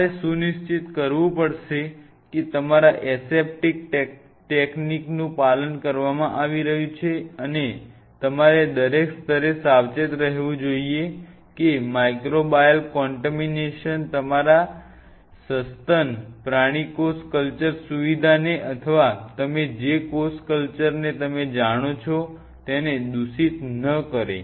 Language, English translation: Gujarati, You have to ensure that all the aseptic techniques are being followed and you have to be ultra careful at every level that microbial contamination should not contaminate your mammalian cell culture facility or animal cell culture facility or you know whatever cell cultured you are following